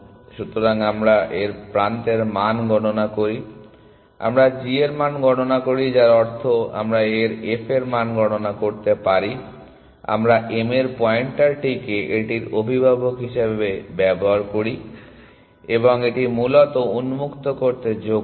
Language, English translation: Bengali, So, we compute its edge value we compute its g value which means we can compute its f value, we mark the pointer of m as its parent that it came from and add it to open essentially